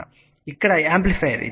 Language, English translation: Telugu, This was the amplifier here